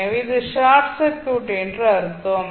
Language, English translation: Tamil, This will be short circuited